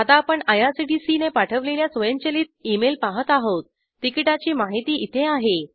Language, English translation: Marathi, We are now looking at the automated email sent by IRCTC the ticket details are here